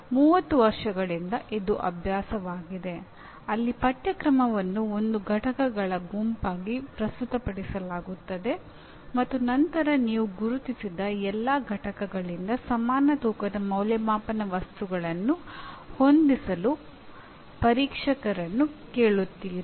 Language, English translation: Kannada, This has been the practice for almost last 30 years where syllabus is presented as a set of units and you essentially and then you ask the examination, the examiners to set assessment items equally of equal weightage from all the identified units